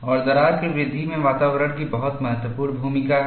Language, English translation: Hindi, And environment has a very important role to play in crack growth